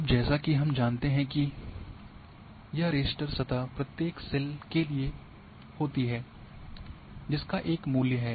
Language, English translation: Hindi, Now as we know that this raster surfaces is for each cell you are having a value